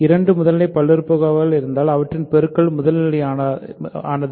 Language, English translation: Tamil, So, if two primitive polynomials are there their product is also primitive